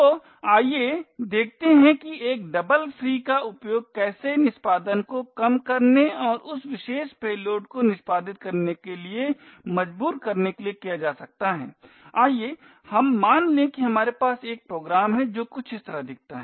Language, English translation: Hindi, So let us see how a double free can be used to subvert execution and force this particular payload to execute, let us assume we have a program that looks something like this